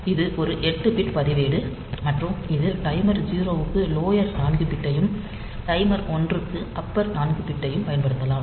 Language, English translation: Tamil, So, this is one 8 bit register and it can be used a lower 4 bits for timer 0, and upper 4 bits for timer 1